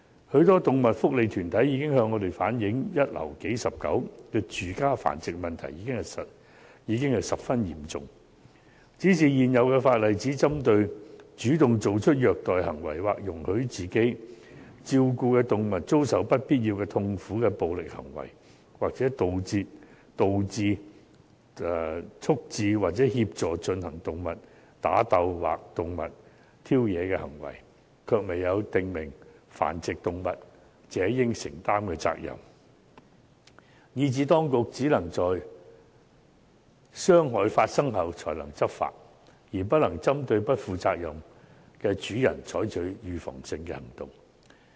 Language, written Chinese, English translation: Cantonese, 許多動物福利團體向我們反映，"一樓數十狗"的住家繁殖問題十分嚴重，但現行法例只針對主動作出虐待行為或容許自己照顧的動物遭受"不必要的痛苦"的暴力行為，或"導致、促致或協助進行動物打鬥或動物挑惹的行為"，卻未有訂明繁殖動物者應承擔的責任，以致當局只可以在傷害發生後才能執法，而不能針對不負責任的主人採取預防性行動。, As reflected by many animal welfare organizations although the problem of home breeding―dozens of dogs kept in one flat―is getting very serious the existing legislation only deals with cases where a person proactively performs acts of cruelty or being the owner permits any unnecessary suffering caused to his animal by violent acts or causes procures or assists at the fighting or baiting of any animal . It has therefore failed to provide for the responsibility of animal breeders . As a result law enforcement action can only be taken by the authorities after the animals actually suffer and no preventive action can be taken against those irresponsible owners